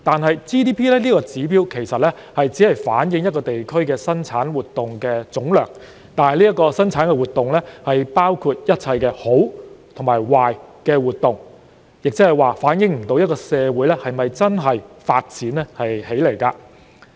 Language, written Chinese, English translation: Cantonese, 然而 ，GDP 這個指標其實只反映一個地區的生產活動總量，但這些生產活動包含一切好和壞的活動，即無法反映一個社會是否真的發展起來。, But as an indicator GDP basically reflects only the aggregate production of a place covering activities of both good and bad natures . In other words it is unable to show a society is really a developed one